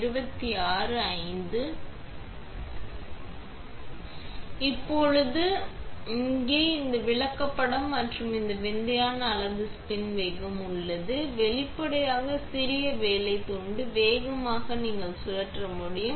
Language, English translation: Tamil, Now, next, I have this chart here and this is wafer size versus spin speed; obviously, the smaller the work piece, the faster you can spin